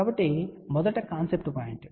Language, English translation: Telugu, So, first concept point